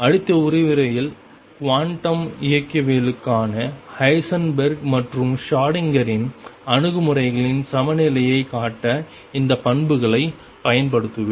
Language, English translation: Tamil, In the next lecture I will use these properties to show the equivalence of Heisenberg’s and Schrodinger’s approaches to quantum mechanics